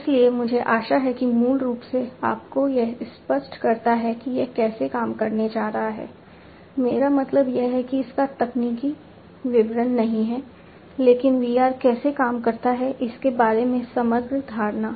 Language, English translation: Hindi, So, I hope that this basically makes it clearer to you how it is going to work, not I mean not the technical details of it, but an overall impression about how VR works